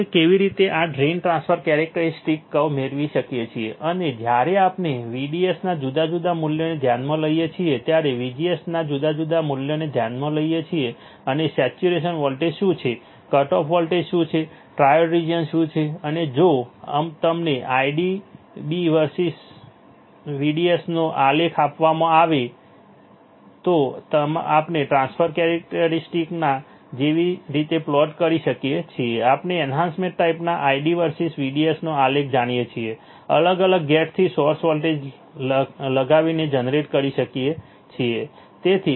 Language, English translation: Gujarati, How we can derive this drain transfer characteristics curve, and when we consider different value of VDS when we consider different value of VGS and what are the saturation voltage is what are the cut off voltages what are the what is the triode region and how can we plot the transfer characteristics if you are given the ID versus VDS plot then we know that ID versus VDS plot in enhancement type, can be generated by applying different gate to source voltages